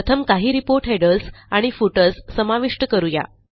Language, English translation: Marathi, Okay, now let us add some report headers and footers